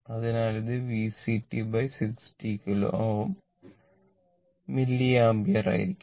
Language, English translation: Malayalam, So, it will be V C t upon 60 kilo ohm right ah, your milliampere